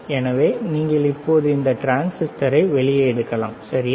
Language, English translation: Tamil, So, you can now take it out this transistor, all right